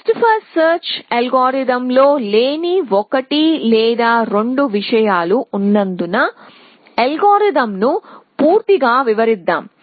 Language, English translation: Telugu, So, let us quickly describe the algorithm completely because there are one or two things which were not there in the best first search algorithm